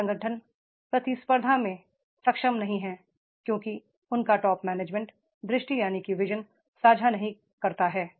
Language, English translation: Hindi, Many organizations are not able to compete because their top management does not share the vision